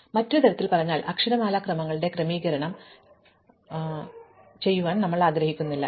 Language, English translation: Malayalam, So, in other words we do not want to disturb the sorting of alphabetical orders